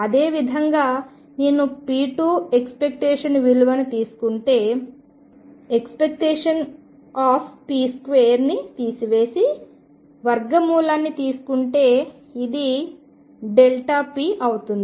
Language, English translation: Telugu, Similarly if I take p square expectation value of that, subtract the square of the expectation value of p and take square root this is delta p